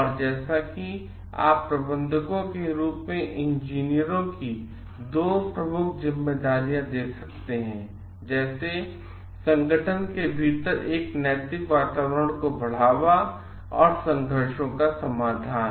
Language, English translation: Hindi, And as you can see like 2 of the major responsibilities of engineers as managers are promoting an ethical climate within the organization and resolving conflicts